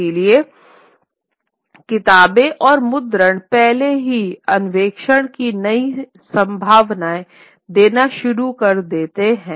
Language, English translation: Hindi, So, books and printing already start, you know, throwing up new possibilities of exploration